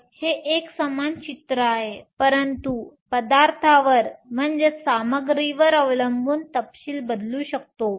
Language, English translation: Marathi, So, it is a same picture, but depending upon the material, the details will change